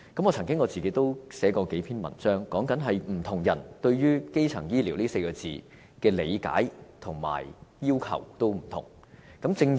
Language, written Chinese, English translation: Cantonese, 我曾經撰寫數篇文章，分析不同人對於"基層醫療"這4個字的理解和要求，也有所不同。, I have written several articles to analyse the different understandings and demands of different people towards the term primary health care services